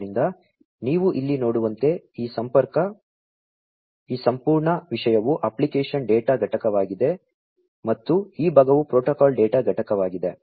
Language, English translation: Kannada, So, as you can see over here this entire thing is the application data unit and this part is the protocol data unit